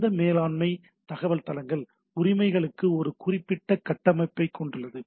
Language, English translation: Tamil, So it has a particular structure by which these management information bases are maintained